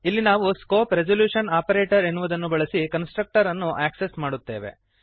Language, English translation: Kannada, Here we access the constructor using the scope resolution operator